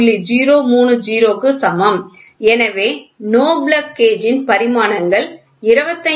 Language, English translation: Tamil, 030 therefore, dimensions of no GO plug gauge is equal to 25